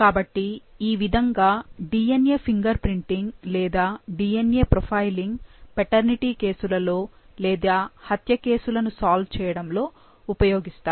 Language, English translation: Telugu, So, this is how DNA profiling using or DNA finger printing is done for paternity cases or for murder mysteries